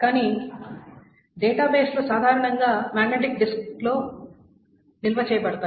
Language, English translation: Telugu, Now generally what happens is that the databases are generally stored in the magnetic disk